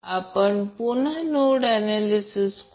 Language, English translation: Marathi, So we will again use the nodal analysis